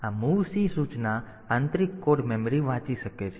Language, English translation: Gujarati, So, this mov c the instruction it can read internal code memory